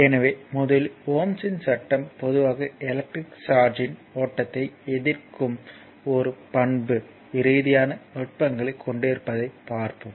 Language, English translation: Tamil, So, first is let us see the Ohm’s law in general actually materials have a characteristic behavior of your resisting the flow of electric charge